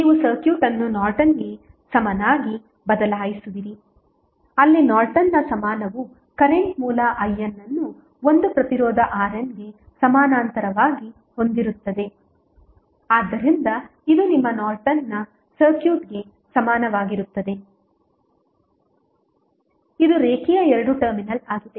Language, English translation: Kannada, That you will change the circuit to a Norton's equivalent where the Norton's equivalent would be looking like this here in this case you will have current source I N in parallel with one resistance R N so this is your Norton's equivalent of the circuit which is linear two terminal